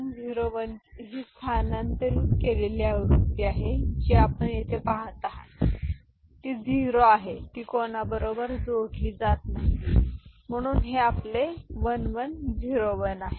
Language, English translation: Marathi, So, this 1 1 0 1 is a shifted version you see here it is 0 right and here it is not getting added with anyone so this is your 1 1 0 1 right